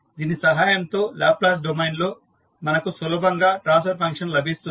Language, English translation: Telugu, So, with the help of this in Laplace domain we can get easily the transfer function